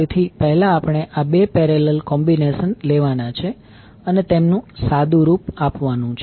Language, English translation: Gujarati, So first we have to take these two the parallel combinations and simplify it